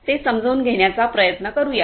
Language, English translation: Marathi, Let us try to understand that